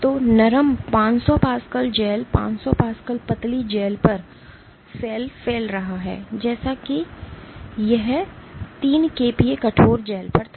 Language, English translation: Hindi, So, on the soft 500 Pascal gels 500 Pascal thin gel the cell is spreading as if it was on a 3 kPa stiff gel